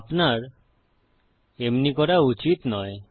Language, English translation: Bengali, You shouldnt do so